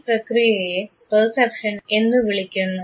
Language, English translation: Malayalam, And this is what is called Perception